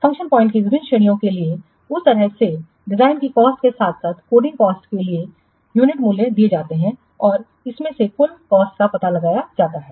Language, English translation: Hindi, In that way, for different ranges of function point counts, the unit prices for the design cost as well as the coding cost are given and from this the total cost is found out